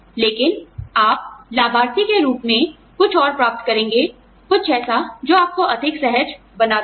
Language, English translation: Hindi, But, you, as the beneficiary, will get something more, something that will make you, more comfortable